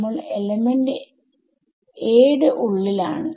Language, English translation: Malayalam, So, we are inside element #a